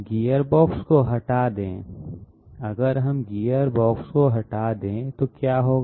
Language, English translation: Hindi, Remove the gearbox, what if we remove the gearbox